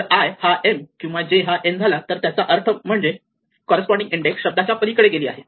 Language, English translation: Marathi, So, if i becomes m or j becomes n it means that that corresponding index has gone beyond the end of the word right